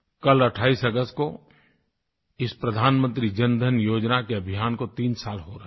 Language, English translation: Hindi, Tomorrow on the 28th of August, the Pradhan Mantri Jan DhanYojna will complete three years